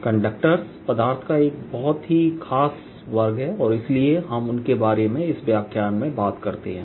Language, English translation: Hindi, this is a very special class of materials and therefore we talk about them in them in this lecture